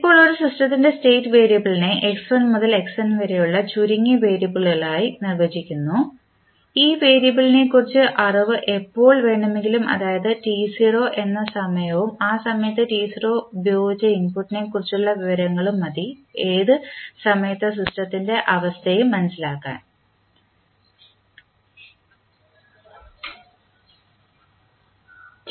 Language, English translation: Malayalam, Now, state variable of a system are defined as a minimal set of variable that is x1 to xn in such a way that the knowledge of these variable at any time say t naught and information on the applied input at that time t naught are sufficient to determine the state of the system at any time t greater than 0